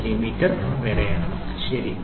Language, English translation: Malayalam, 8939 millimeters, ok